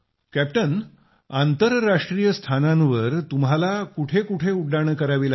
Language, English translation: Marathi, Captain, internationally what all places did you have to run around